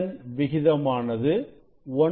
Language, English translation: Tamil, what is the ratio